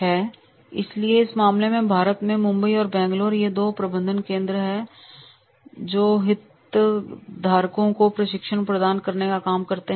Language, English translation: Hindi, And therefore in that case, in Mumbai and Bangalore in India, these two management training centers, they are working for the providing the training to their stakeholders